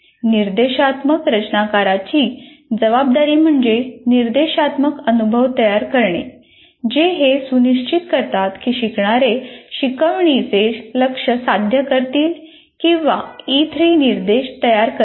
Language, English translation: Marathi, And the responsibility of the instructional designer is to create instructional experiences which ensure that the learners will achieve the goals of instruction or what you may call as E3, create E3 instruction